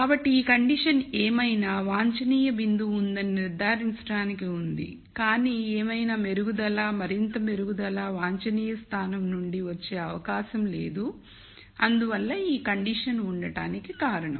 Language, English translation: Telugu, So, this condition is there to ensure that whatever optimum point that you have, there is no possibility of improvement any more improvement from the optimum point so that is the reason why this condition is there